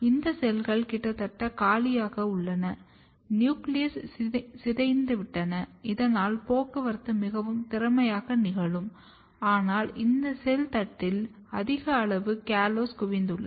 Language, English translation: Tamil, And another things that these cells are almost empty nucleus is degraded, so that the transport can occur very efficiently, but if you look this cell plate here, it has a very high amount of callose accumulated